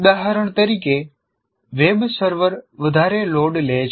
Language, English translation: Gujarati, For example, web server is overloaded